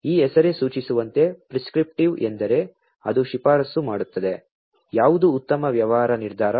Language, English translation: Kannada, As this name suggests prescriptive means that it will prescribe, that what is the best possible business decision right